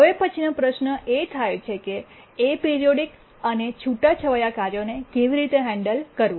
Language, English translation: Gujarati, The next question comes is that how do we handle aperiodic and sporadic tasks